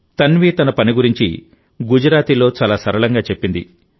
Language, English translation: Telugu, Tanvi told me about her work very simply in Gujarati